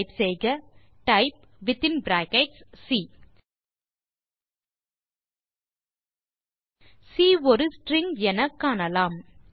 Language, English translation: Tamil, Type type within brackets c We see that c is a string